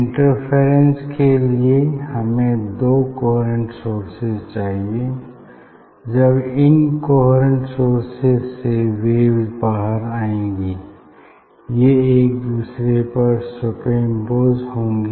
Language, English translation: Hindi, for interference we need two coherent source from this two coherent source, when waves will come out from this source and they will super impose with each other